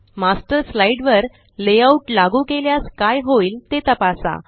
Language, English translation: Marathi, Check what happens when you apply a Layout to a Master slide